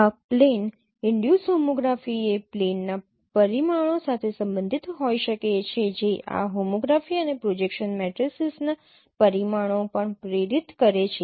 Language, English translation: Gujarati, This plane induced homography is can be related with the parameters of the plane which is inducing this homography and also the the parameters of the projection matrices